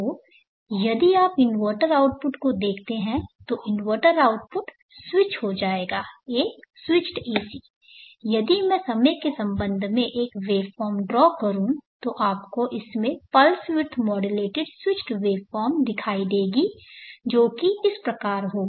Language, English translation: Hindi, So if you look at the inverter output the inverter output will be switched as switched AC, if I draw the waveform versus time you will see pulse width modulated switched waveform in this fashion